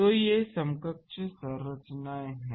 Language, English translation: Hindi, So, these are equivalent structures